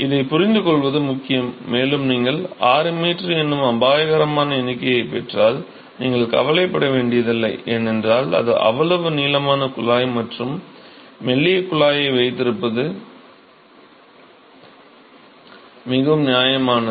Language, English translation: Tamil, It is important to understand, and if you get an alarming number of 6 meters, you should really not to be worried, because it is not of it is quite fair to have that long a tube and that thinner tube